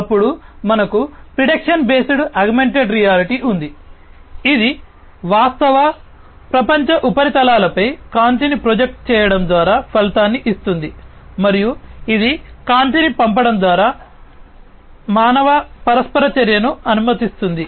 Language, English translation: Telugu, Then we have the prediction based augmented reality, that gives an outcome by projecting light onto the real world surfaces and it allows the human interaction by sending light